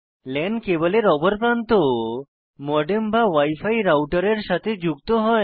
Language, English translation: Bengali, The other end of the LAN cable is connected to a modem or a wi fi router